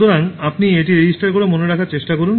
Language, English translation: Bengali, So, you try to remember by registering it